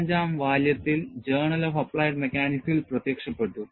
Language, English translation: Malayalam, This appeared in Journal of Applied Mechanics in volume 35